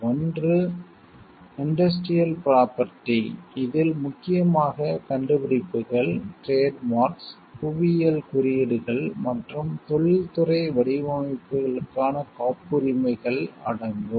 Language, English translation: Tamil, One is the industrial property; which includes mainly patents for inventions, trademarks, geographically indications and industrial designs